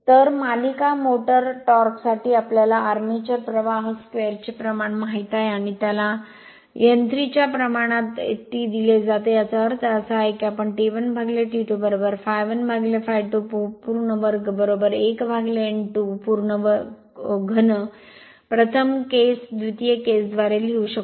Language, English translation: Marathi, So, for series motor torque, we know proportional to armature current square and it is given T proportional to n cube; that means, we can write T 1 by T 2 is equal to I a 1 upon I a 2 whole square is equal to n 1 upon n 2 whole cube right first case, second case right